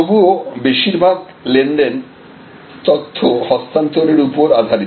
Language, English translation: Bengali, But, mostly the transactions are based on information transform